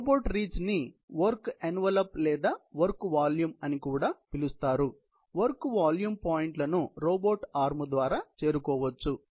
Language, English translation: Telugu, So, robot reach is also known as a work envelope or work volume in the space of all points with the surrounding space that, can be reached by the robot arm